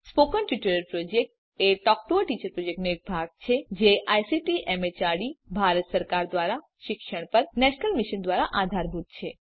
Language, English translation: Gujarati, Spoken Tutorial Project is a part of the Talk to a Teacher project and is supported by the National Mission on Education through ICT, MHRD, Government of India